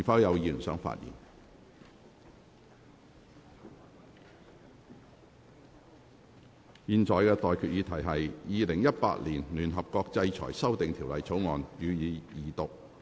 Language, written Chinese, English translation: Cantonese, 我現在向各位提出的待決議題是：《2018年聯合國制裁條例草案》，予以二讀。, I now put the question to you and that is That the United Nations Sanctions Amendment Bill 2018 be read the Second time